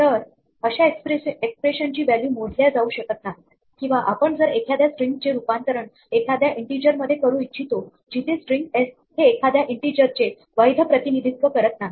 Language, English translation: Marathi, So, this expression value cannot be computed, or we might be trying to convert something from a string to an integer where the string s is not a valid representation of an integer